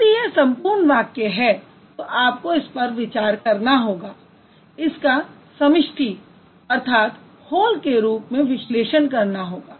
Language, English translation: Hindi, So, if it's a total statement, you have to consider it or you have to, you have to take it or you have to analyze it as a whole